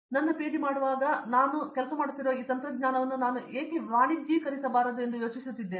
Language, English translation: Kannada, Now after while doing my PhD I am thinking like why cannot I commercialize this technology which I am working on